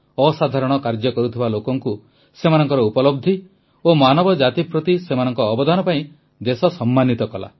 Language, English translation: Odia, The nation honored people doing extraordinary work; for their achievements and contribution to humanity